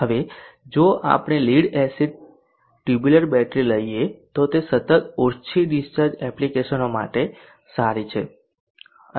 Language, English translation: Gujarati, Now if we take lead acid tubular battery it is good for continuous low discharge application